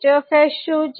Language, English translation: Gujarati, What is hs